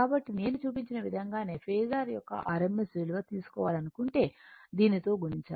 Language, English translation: Telugu, So, same as same way I have showed you if you to take rms value phasor and if you just multiply this one